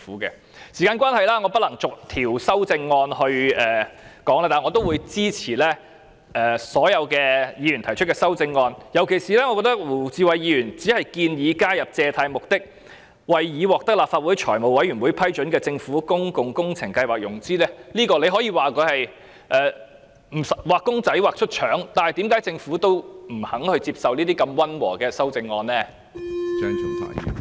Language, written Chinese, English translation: Cantonese, 由於時間關係，我不能就所有修訂議案逐項討論，但我支持所有議員提出的修訂議案，尤其是胡志偉議員只是建議加入借貸旨在為已獲得立法會財務委員會批准的政府公共工程計劃融資，這可說是"畫公仔畫出腸"，但為何政府連如此溫和的修訂議案也不肯接受呢？, Owing to the time constraint I cannot discuss all the amending motions one by one . But I support all the amending motions proposed by Members . In particular Mr WU Chi - wai has merely proposed adding the point that the purpose of the sums borrowed is to fund the Governments public works programme approved by the Finance Committee of the Legislative Council